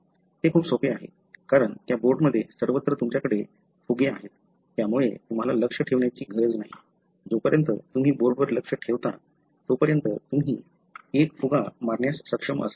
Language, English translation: Marathi, So, it is very easy, because there are, everywhere in that board you have balloons, so you do not need to aim, as long as you aim at theboard you will be able to hit one of the balloons